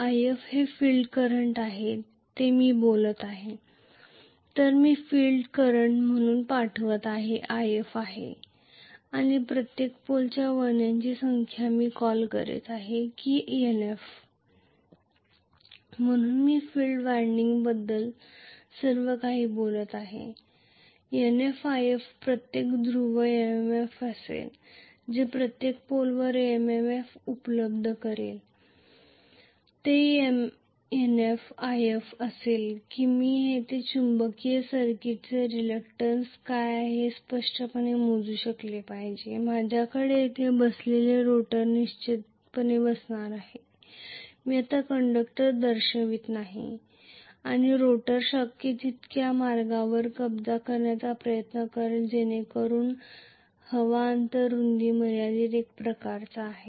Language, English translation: Marathi, So what I am passing as the field current is ‘If’ and the number of turns per pole I am calling that as Nf I am talking everything about field winding so, Nf times ‘If’ will be the MMF per pole what is available as MMF per pole will be Nf times ‘If’ and I should be able to calculate very clearly what is the magnetic circuit reluctance I am going to have definitely the rotor sitting here, I am not showing the conductors right now, and the rotor will try to occupy as much ways as possible so that the air gap width is kind of limited